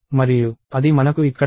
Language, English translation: Telugu, And that is what we have here